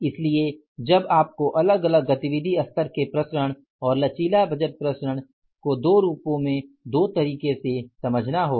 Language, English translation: Hindi, So now how you have to understand this difference activity level variances and the flexible budget variances in two manners in two ways